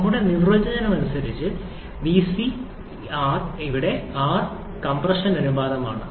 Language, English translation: Malayalam, And as per our definition, vT/vC is given by the compression ratio